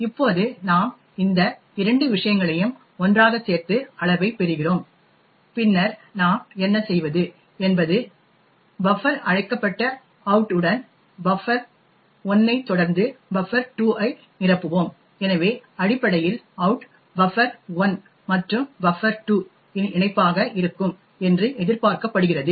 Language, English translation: Tamil, Now we add these 2 things together to obtain size and then what we do is we would fill the buffer called out with buffer 1 followed by buffer 2, so essentially out is expected to be the concatenation of buffer 1 plus buffer 2